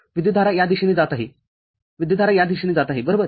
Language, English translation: Marathi, Current is going in this direction, current is going in this direction right